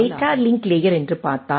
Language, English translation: Tamil, So, if we see that the data link layer